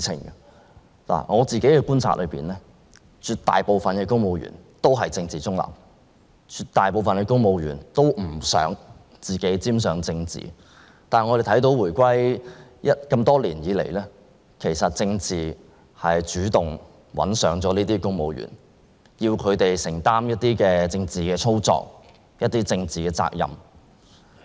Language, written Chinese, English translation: Cantonese, 根據我自己的觀察，絕大部分公務員都是政治中立的，他們都不想自己沾上政治，但我們看到回歸後的這些年，政治主動找上了公務員，令他們要作出一些政治操作和承擔政治責任。, According to my personal observation the majority of the civil servants are politically neutral and do not want to get themselves embroiled in politics . However as we have observed over these years after the reunification politics has actively come for the civil servants making them perform some political manoeuvres and take on political responsibility